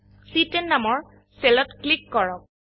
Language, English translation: Assamese, Click on the cell referenced as C10